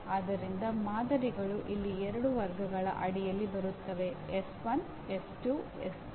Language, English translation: Kannada, So the samples will come under two categories here; S1, S2, S3